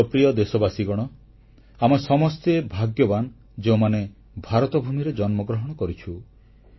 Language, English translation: Odia, My dear countrymen, as a people, we are truly blessed to be born in this land, bhoomi of Bharat, India